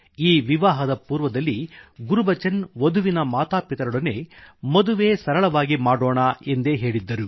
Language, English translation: Kannada, Gurbachan Singh ji had told the bride's parents that the marriage would be performed in a solemn manner